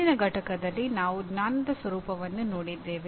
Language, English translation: Kannada, Earlier, in the earlier unit we looked at the nature of knowledge